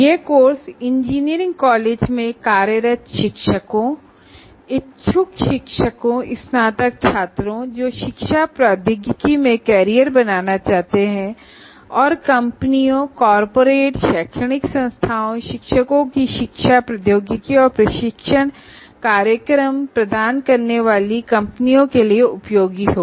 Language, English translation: Hindi, And this course, as we mentioned earlier, will be useful to working teachers in engineering colleges, aspiring teachers, graduate students who wish to make careers in education technology, and also companies offering education technologies and training programs to corporates, educational institutes, teachers and students